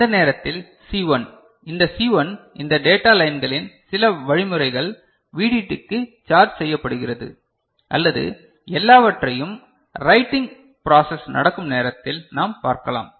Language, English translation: Tamil, And that time C1 is this C1 is charged to VDD by some mechanisms of these data lines or all those things that we shall see during you know, writing process how it happens